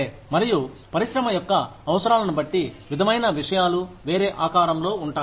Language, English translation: Telugu, And, depending on the needs of the industry, things sort of, take on a different shape